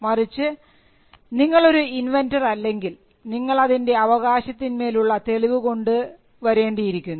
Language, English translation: Malayalam, If you are not the inventor, then, you require a proof of right